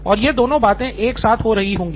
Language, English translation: Hindi, And it happening in simultaneously